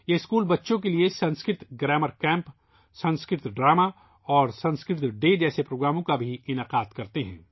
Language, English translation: Urdu, For children, these schools also organize programs like Sanskrit Grammar Camp, Sanskrit Plays and Sanskrit Day